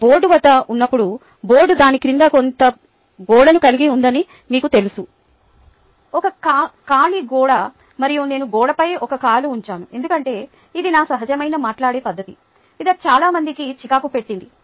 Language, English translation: Telugu, you know, when i am, i am, ah, at the board and the board has some wall beneath it, a free wall, and i used to put one leg on the wall because that was my natural way of talking, ok, which irritated a lot of people